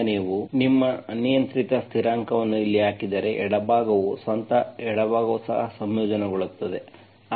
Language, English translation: Kannada, So if you, if you put your arbitrary constant here, the left hand side itself, the left hand side also integrated